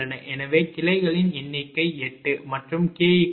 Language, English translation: Tamil, so number of branches is eight and k is equal to one to n jj